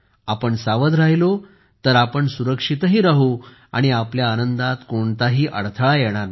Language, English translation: Marathi, If we are careful, then we will also be safe and there will be no hindrance in our enjoyment